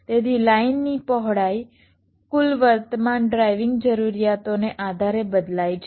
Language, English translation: Gujarati, so the width of the lines will vary depending on the total current driving requirements